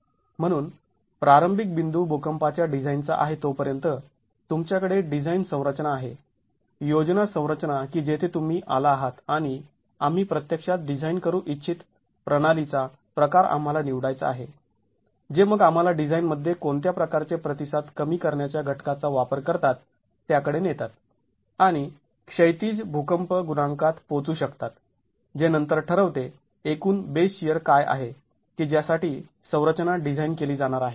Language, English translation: Marathi, So, the starting point is again as far as the seismic design is concerned, you have the design configuration, the plan configuration that you have arrived at and we have to choose the type of system that we want to actually design which then leads us to what sort of a response reduction factor can you use in the design and arrive at the horizontal seismic coefficient which then determines what is the total base here that the structure is going to be designed for